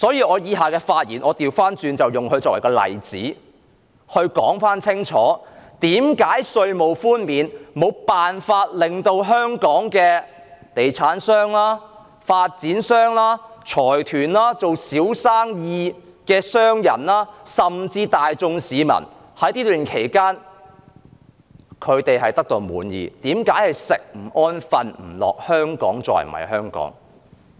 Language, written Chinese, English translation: Cantonese, 我以下的發言會以他作為例子，清楚說明為何稅務寬免無法安撫香港的地產商、發展商、財團、從事小生意的商人，甚至大眾市民，以及為何在這段時間他們會寢食不安，感到香港再不是香港。, In the following part of my speech I will use him as an example to clearly explain why this tax concessionary measure cannot possibly comfort property developers conglomerates small businessmen or even the general public and why they have been restless over this period of time feeling that Hong Kong is no longer the Hong Kong they used to know